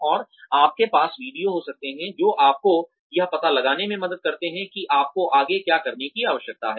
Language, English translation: Hindi, And, you could have videos, that help you figure out what you need to do next